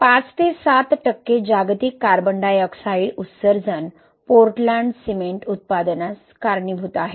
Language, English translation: Marathi, And we know that five to seven percent of global CO2 emission is attributed to Portland cement manufacturing